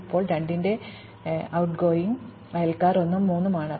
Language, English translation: Malayalam, Now, the outgoing neighbors of 2 in this case are 1 and 3